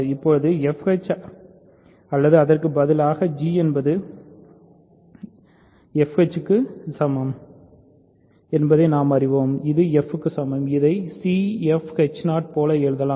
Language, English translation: Tamil, So, now, we know that f h or rather g is equal to f h which is equal to f we can write it like this c f h 0